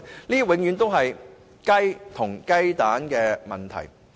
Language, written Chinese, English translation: Cantonese, 這永遠是"雞與雞蛋"的問題。, This can be described as a chicken and egg situation